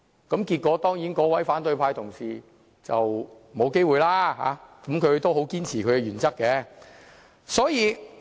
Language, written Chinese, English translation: Cantonese, 結果那位反對派同事當然沒有機會，但他依然堅持他的原則。, Certainly that colleague of the opposition camp eventually did not stand for the election but he still remains true to his principles